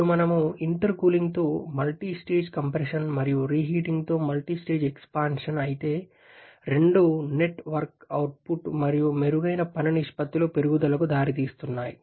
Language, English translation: Telugu, Now we can see that while the multistage compression with intercooling and multistage expansion with reheating, both are leading to increase in the net work output and improved work ratio, but both of them are causing a reduction in the thermal efficiency